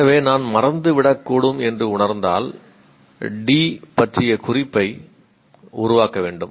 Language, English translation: Tamil, So if I sense I should make a note of D because I may forget